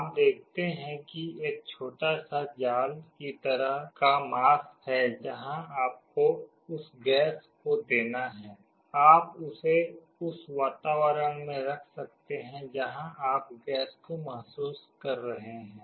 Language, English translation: Hindi, You see there is a small mesh kind of a mask where you have to give that gas, you can put it in the environment where you are sensing the gas